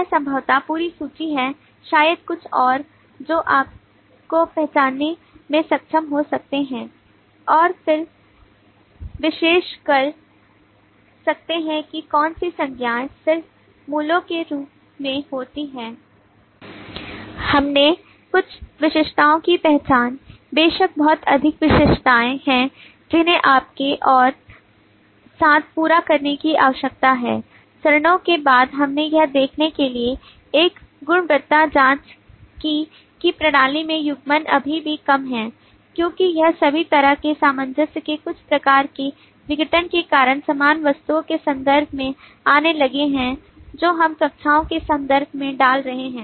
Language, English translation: Hindi, this is possibly the complete list there maybe few more which you may be able to identify and then analyzing as to which nouns just occur as values we identified some of the attributes of course there are lot more attributes which need to be completed by you and with all this after the stages we quality check to see that the coupling in the system is still low because it all disintegrated kind of some kind of cohesion has started coming up in terms of similar items which we are putting down in terms of classes